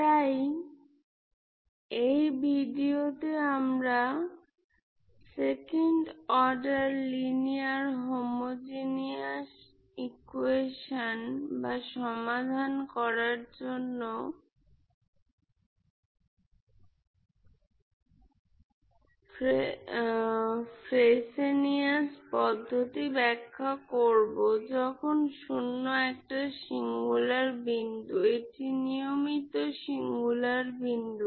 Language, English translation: Bengali, So, in this video we will explain Frobenius method to solve second order linear homogeneous equation when 0 is a singular point that is regular singular point, okay